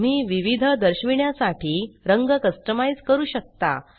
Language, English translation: Marathi, You can customize colours for different displays